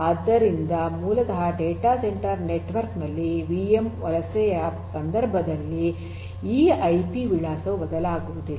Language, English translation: Kannada, So, basically this IP address does not change in the case of the VM migration in the case of data centre networks